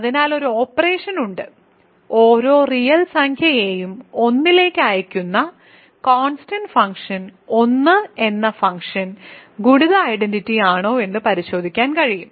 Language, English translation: Malayalam, So, there is a operation and one can check that the function the constant function 1, which sends every real number to 1 is the multiplicative identity ok